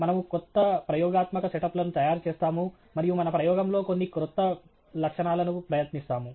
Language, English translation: Telugu, We are making new experimental set ups and we are trying out some new feature in our experiment and so on